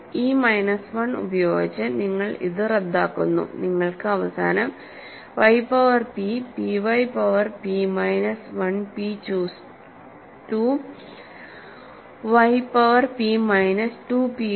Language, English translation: Malayalam, So, you cancel that 1 with this minus 1, what you end up with is y power p, p y power p minus 1 p choose 2 y power p minus 2 p y, ok